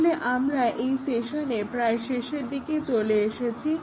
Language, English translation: Bengali, So, we are just in the end of this session